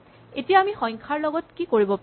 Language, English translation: Assamese, So, what can we do with numbers